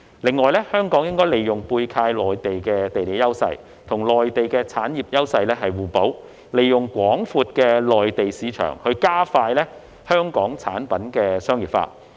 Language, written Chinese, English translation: Cantonese, 此外，香港應利用背靠內地的地理優勢，與內地產業優勢互補，利用廣闊的內地市場加快香港產品的商業化。, In addition Hong Kong should make use of its geographical advantage of being close to the Mainland to complement its industrial strengths with those of the Mainland and speed up the commercialization of Hong Kong products by leveraging on the vast Mainland market